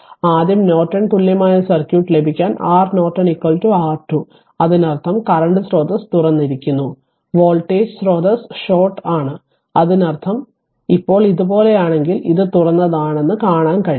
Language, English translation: Malayalam, To get the Norton equivalent circuit first what you do R Norton R Norton is equal to R thevenin; that means, current source is open and voltage source is shorted right; that means, if you if you now if it is like this, then you can see that this is open